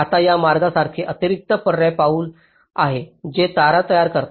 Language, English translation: Marathi, now there is a additional optional step, like these routes which are generated, the wires